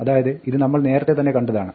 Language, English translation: Malayalam, So, this we had already seen